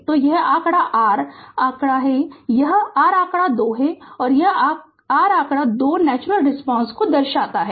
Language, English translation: Hindi, So, figure this is your figure 2 this is your figure 2 figure 2 shows the natural response